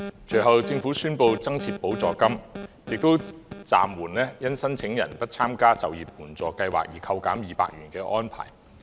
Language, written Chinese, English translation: Cantonese, 隨後，政府宣布增設就業支援補助金，並暫緩因申領人不參加中高齡就業計劃而扣減200元的安排。, Subsequently the Government announced the introduction of the Employment Support Supplement and put on hold the arrangement of deducting 200 from the payments to recipients who do not join the Employment Programme for the Elderly and Middle - aged EPEM